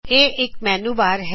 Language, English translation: Punjabi, This is the Menubar